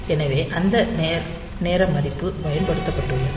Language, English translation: Tamil, So, you have that time value has been used